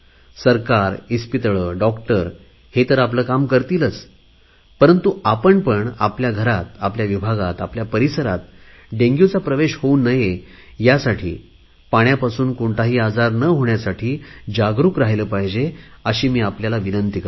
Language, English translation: Marathi, The government, hospitals, doctors will of course do their job, but I urge that we should also be alert in ensuring that Dengue doesn't enter our homes, locality, family, for that matter, any illness connected with stagnant water